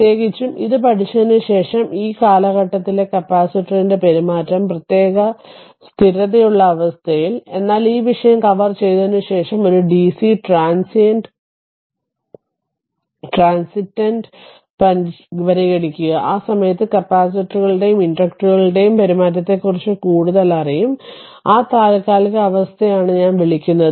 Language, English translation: Malayalam, So, particularly after learning this the behavior of capacitor in that term particular steady state condition; but when we will consider a dc transient after covering this topic at that time we will know much more about behavior of the capacitor as well as inductor during your what you call that transient condition I mean switching right